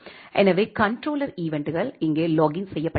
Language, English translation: Tamil, So, the controller events are being logged here